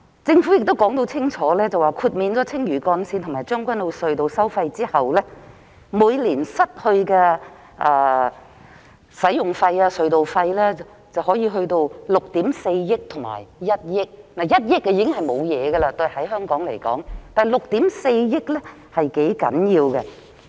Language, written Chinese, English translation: Cantonese, 政府已經說得很清楚，豁免青嶼幹線和將軍澳隧道收費後，每年因此失去的使用費/隧道費收入分別可達至6億 4,000 萬元和1億元 ——1 億元在香港來說已經不算甚麼了，但6億 4,000 萬元則是頗大的數目。, The Government has made clear that toll revenue of around 640 million and 100 million will be forgone annually arising from the toll waiver for the Lantau Link and the Tseung Kwan O Tunnel respectively―100 million is no big deal to Hong Kong but 640 million is quite a considerable sum